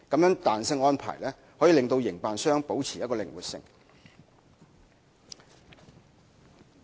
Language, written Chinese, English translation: Cantonese, 此彈性安排可令營辦商保持靈活性。, This flexible arrangement will maintain the flexibility of operators